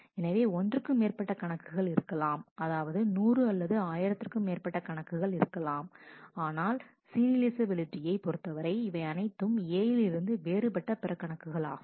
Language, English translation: Tamil, There may be one more account there may be 100 thousand more account, but so far as serializability are concerned, these are all other different accounts from A